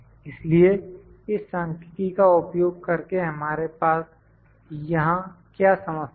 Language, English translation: Hindi, So, using this numerical what is the problem here